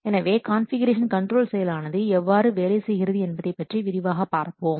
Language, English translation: Tamil, So, let us explain how this configuration control this process works